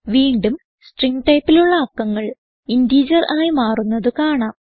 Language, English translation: Malayalam, To get the number, we have to use a string and convert it to an integer